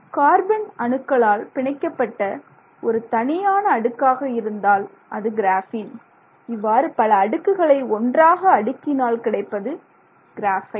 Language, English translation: Tamil, A single layer of carbon atoms, you know, bonded in this manner is graphene and then you stack them up, that is what is graphite